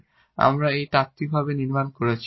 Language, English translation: Bengali, So, this is a little theoretical now